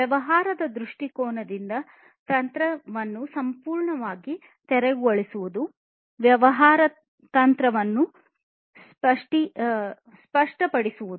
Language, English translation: Kannada, Clearing the strategy completely from a business point of view; business strategy should be clarified